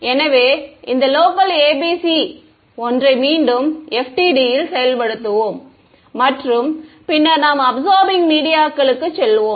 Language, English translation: Tamil, So, we will once again implement this local ABC in FDTD and then we will go to absorbing media